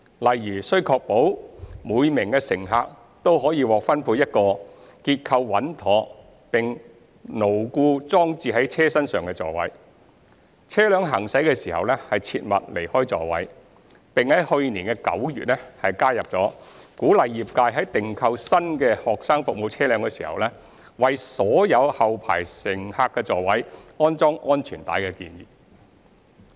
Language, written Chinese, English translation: Cantonese, 例如須確保每名乘客均獲分配一個結構穩妥並牢固裝置在車身上的座位、車輛行駛時切勿離開座位，並於去年9月加入鼓勵業界在訂購新的學生服務車輛時，為所有後排乘客座位安裝安全帶的建議。, For example it should be ensured that each passenger should be allocated and seated in a properly constructed seat secured to the body of the vehicle; and passengers must remain seated when the vehicle is in motion; and since September last year the trade is encouraged to install seat belts on all rear passenger seats when procuring new student service vehicles